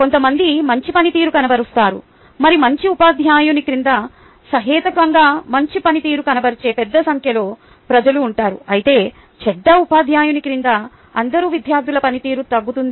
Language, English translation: Telugu, there will be some people who will be performing very well, and there will be large number of people who will perform reasonably well under a good teacher, whereas under a bad teacher, all the students performance will be lowered